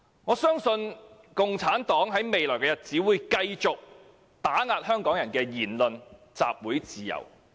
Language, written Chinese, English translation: Cantonese, 我相信共產黨在未來日子，會繼續打壓香港人的言論和集會自由。, I believe CPC will continue to suppress the freedom of speech and assembly enjoyed by the people of Hong Kong